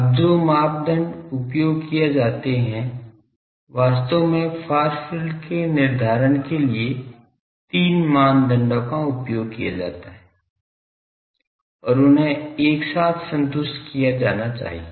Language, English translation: Hindi, Now, the criteria that is used actually three criteria’s are there for determining far field and that should be satisfied simultaneously